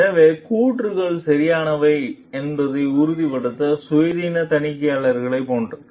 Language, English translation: Tamil, So, it is like the independent auditors to make sure the claims are correct